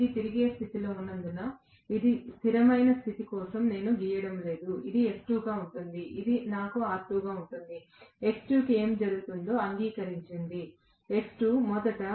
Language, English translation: Telugu, Because it is in rotating condition, I am not drawing this for stationary condition this is going to be S times E2, I will have R2, agreed what will happen to X2, X2 was originally 2 pi F1 L2